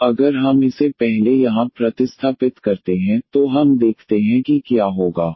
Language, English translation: Hindi, Now, if we substitute this first here let us see what will happen